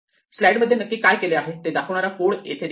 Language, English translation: Marathi, Here we have code which exactly reflects what we did in the slides